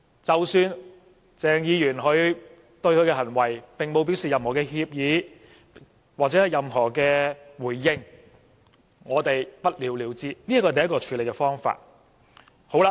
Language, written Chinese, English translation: Cantonese, 即使鄭議員並沒有對他的行為表示任何歉意，或作出任何回應，也不了了之，這是第一個處理方法。, Even if Dr CHENG has not shown any sense of guilt or made any response we can sit on the incident . This is the first method